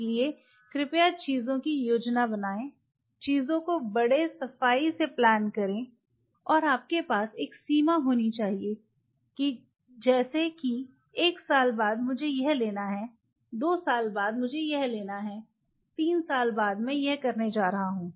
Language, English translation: Hindi, So, please plan things plan things neatly and you should have a margin like you know after one year I will be getting this, after two years I am going to getting this after three years I am going to